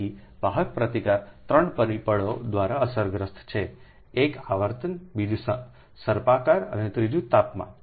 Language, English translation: Gujarati, so the conductor resistance is affected by three factors: one is the frequency, second is the spiralling and third is the temperature